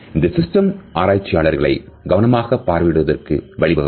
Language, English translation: Tamil, This system also enables the researchers to keep meticulous observations